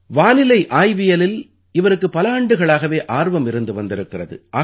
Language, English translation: Tamil, For years he had interest in meteorology